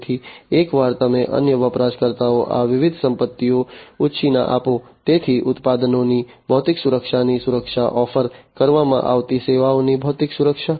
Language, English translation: Gujarati, So, once you lend out these different assets to other users, so security of the physical security of the products, the physical security of the services that are offered